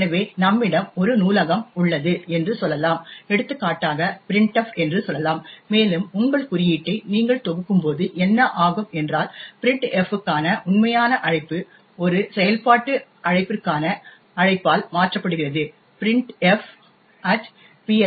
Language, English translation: Tamil, So, let us say we have a function present in a library and let us take for example say printf, and, what happens is that, when you compile your code, so the actual call to printf is replaced with a call to a function call printf at PLT